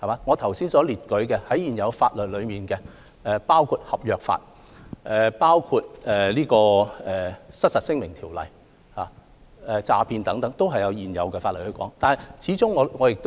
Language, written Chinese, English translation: Cantonese, 我剛才提到，在現有法例中，包括合約法，包括《失實陳述條例》以及對詐騙的禁止等，均可作出規管。, I have mentioned that regulation can be conducted under the current legislation including the contract law the Misrepresentation Ordinance and the prohibition against fraud